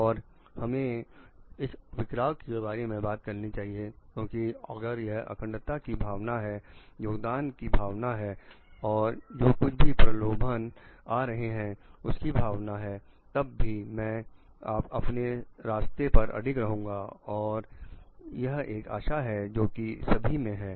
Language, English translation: Hindi, And we need talk of it is dispersed done mainly means because, if this sense of integrity, this sense of contributing, this sense of like whatever temptation may be coming I will stick to my path this is an expectation which is like from all it